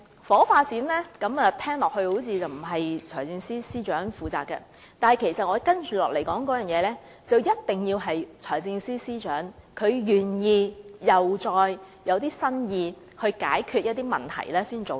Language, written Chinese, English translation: Cantonese, 房屋發展聽來並非財政司司長負責，但我接着提出的必須得到財政司司長首肯，並且要有新意才能做到。, Housing development does not sound to be under the Financial Secretarys portfolio . But the proposal I am about to put forth requires the Financial Secretarys agreement and some creativity before it can be materialized